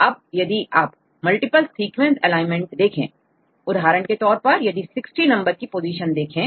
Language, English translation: Hindi, So, now if you give multiple sequence alignment; for example, if you see position number 60